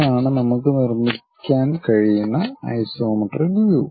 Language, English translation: Malayalam, This is the way isometric view we can construct it